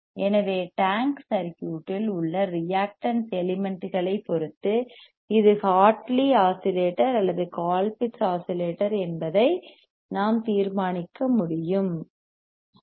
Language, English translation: Tamil, So, depending on the reactances elements in the tank circuit;, we can determine whether it is L Hartley oscillator or Colpitt’s oscillator ok